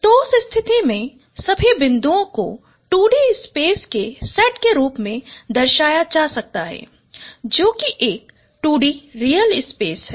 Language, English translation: Hindi, So in that case, all the points could be represented as a set of points on a 2D space or which is a 2D real space